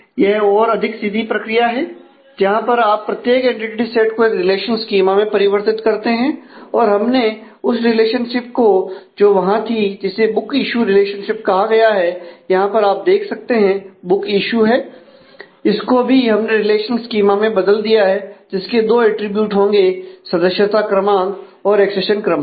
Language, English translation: Hindi, This is a more straight forward process where you just convert every entity set into a relational schema and also we have converted the relationship there was a there is a relationship called book issue here as you can see the book issue this also we have converted to a relational schema involving the two attributes of member number and the accession number